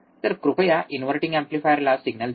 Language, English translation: Marathi, So, please give signal to the inverting amplifier